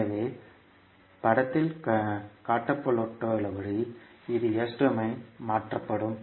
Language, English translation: Tamil, So it will be converted in S domain as shown in the figure